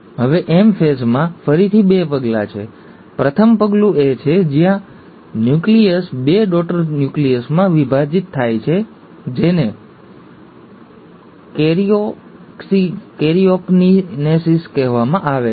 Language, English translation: Gujarati, Now the M phase again has two steps; the first step is where the nucleus divides into two daughter nuclei, that is called as karyokinesis